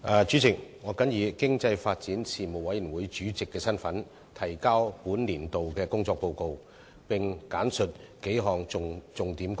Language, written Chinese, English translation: Cantonese, 主席，我謹以經濟發展事務委員會主席的身份，提交本年度的工作報告，並簡述數項重點工作。, President in my capacity as Chairman of the Panel on Economic Development the Panel I now submit the Report on the work of the Panel for this year and I will give a brief account of several major items of its work